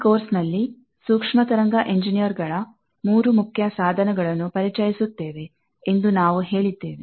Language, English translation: Kannada, We have said that, we will introduce 3 main tools of microwave engineers in this course